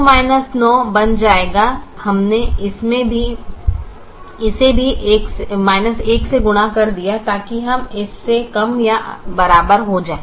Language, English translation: Hindi, we multiplied this also the with minus one so that we get less than or equal to